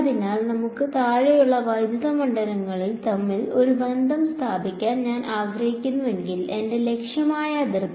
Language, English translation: Malayalam, So, if I want to let us say get a relation between the electric fields above and below, the boundary that is my objective